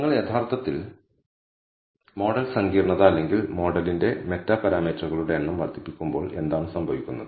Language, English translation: Malayalam, So, schematically what happens when you actually increase the model complexity or the number of meta parameters of the model